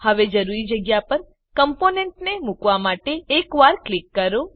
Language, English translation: Gujarati, Now click once to place the component wherever required